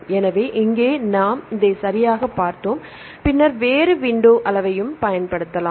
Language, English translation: Tamil, So, this here we exactly looked at the same one then we can also used a different window size